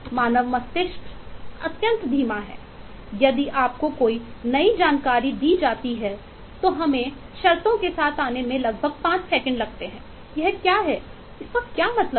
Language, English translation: Hindi, the human brain is extremely slow, so if you are given with a new chunk of information, we take about 5 seconds to come to terms with